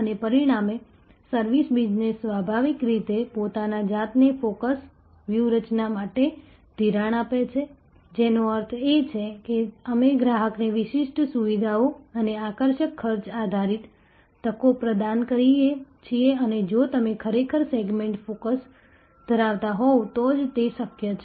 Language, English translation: Gujarati, And as a result, service business naturally lends itself to a focus strategy, which means, that we offer distinctive features and attractive cost based opportunities to the customer and that is only possible if you are actually having a segment focus